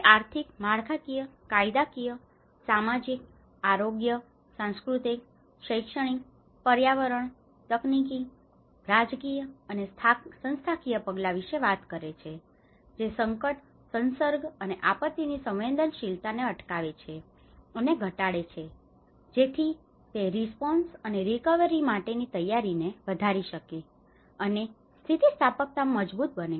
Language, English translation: Gujarati, It talks about the economic, structural, legal, social, health, cultural, educational, environment, technological, political and institutional measures that prevent and reduce hazard, exposure and vulnerability to disaster so that it can increase the preparedness for response and recovery thus strengthening the resilience